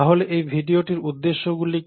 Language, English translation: Bengali, So what are the objectives of this video